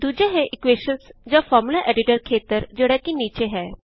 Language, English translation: Punjabi, The second is the equation or the Formula Editor area at the bottom